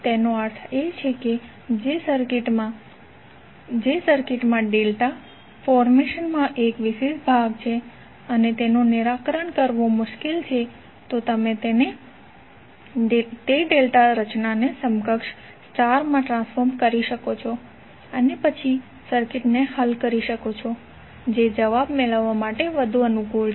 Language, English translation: Gujarati, It means that the circuit which has 1 particular segment in delta formation and it is difficult to solve, you can convert that delta formation into equivalent star and then you can solve the circuit which is more convenient to get the answers